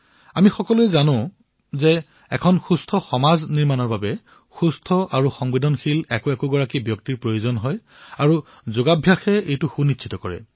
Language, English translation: Assamese, We all know that healthy and sensitive denizens are required to build a healthy society and Yoga ensures this very principle